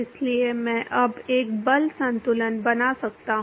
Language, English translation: Hindi, So, I can make a force balance now